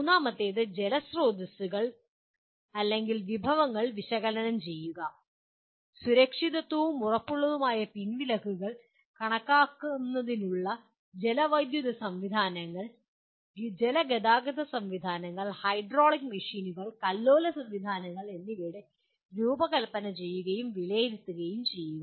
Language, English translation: Malayalam, Third one, analyze water resource/resources, hydrological systems to estimate safe and assured withdrawals and specify design and evaluate water conveyance systems, hydraulic machines and surge systems